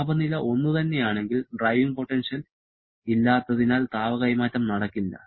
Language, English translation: Malayalam, If the temperatures are same, there is no driving potential so there will be no heat transfer